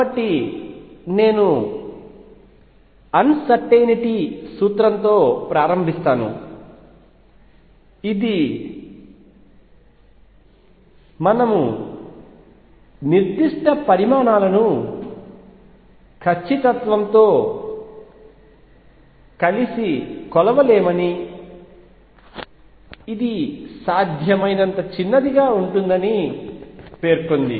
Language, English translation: Telugu, So, in that I will start with uncertainty principle that said that states that we cannot measure certain quantities together with precision which is which can be as small as possible